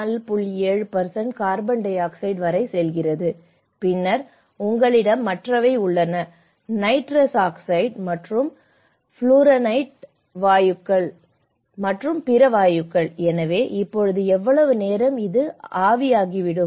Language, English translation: Tamil, 7% of carbon dioxide and then you have the other nitrous oxide and the fluorinated gases and as well as other gases so, now how much time it will take to evaporate